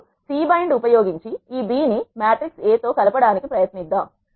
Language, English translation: Telugu, Now, let us try to concatenate this B to this matrix A using C bind